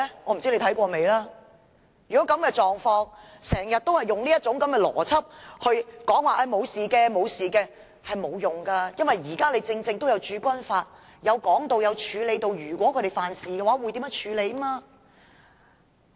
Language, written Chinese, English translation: Cantonese, 我不知道你看過那段法例沒有，但經常用這種邏輯說不會有事，是行不通的，因為《駐軍法》也提到，如果他們犯事會如何處理。, I do not know if he has read the Bill but he should not think with this logic and says that nothing will happen because even the Garrison Law has provided for the punishment for the Hong Kong Garrison if they break the law